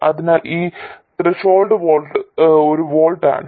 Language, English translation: Malayalam, So this is the threshold voltage, 1 volt